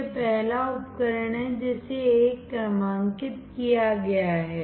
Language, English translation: Hindi, This is first device is numbered 1